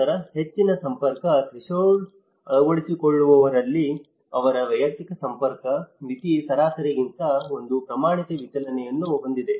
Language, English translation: Kannada, Then in the high network threshold adopters where, whose personal network threshold one standard deviation higher than the average